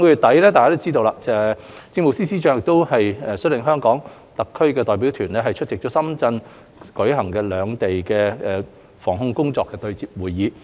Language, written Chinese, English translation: Cantonese, 大家都知道，上月底，政務司司長率領了香港特區代表團出席在深圳舉行的內地與香港疫情防控工作對接會議。, As we all know at the end of last month the Chief Secretary for Administration led the representatives of the Hong Kong Special Administrative Region HKSAR to attend a liaison meeting on the anti - epidemic work of the Mainland and Hong Kong held in Shenzhen